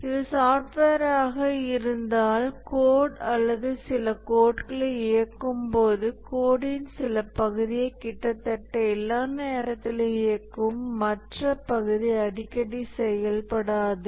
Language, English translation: Tamil, If this is the software, then as the code executes, some code, some part of the code that executes almost all the time